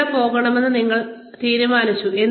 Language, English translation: Malayalam, You decided, where you want to go